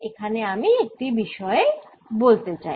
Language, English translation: Bengali, i just want to make one point